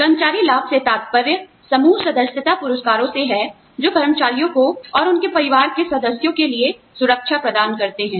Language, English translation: Hindi, Employee benefits refer to, group membership rewards, that provide security, for employees, and their family members